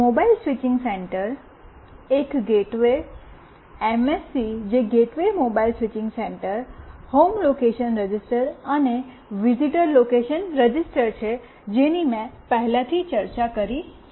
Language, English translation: Gujarati, Mobile Switching Center, a gateway MSC that is Gateway Mobile Switching Center, Home Location Register, and Visitor Location Register, which I have already discussed